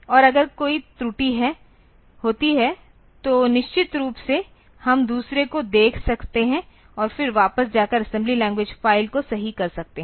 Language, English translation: Hindi, And if there is some error then of course, we can see the other and then go back and correct the assembly language file